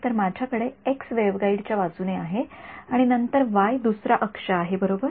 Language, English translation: Marathi, So, I have x is along the waveguide and then y is the other axis right